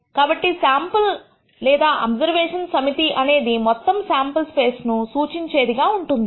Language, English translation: Telugu, So, the sample or observation set is supposed to be sufficiently representative of the entire sample space